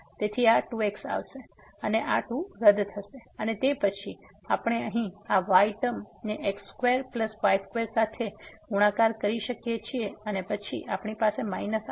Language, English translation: Gujarati, So, this 2 will come and this 2 will get cancel and then, we can multiply here this term in square plus this square and then we have minus